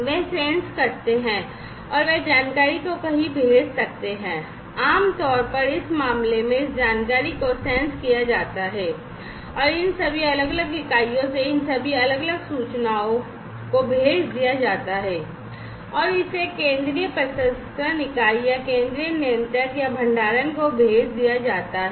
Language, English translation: Hindi, They can sense and they can send the information to somewhere, right and typically in this case this information is sense, sensed and sent all these different, information from all these different units are going to be sensed and sent to this central processing unit or central controller or the storage unit, over here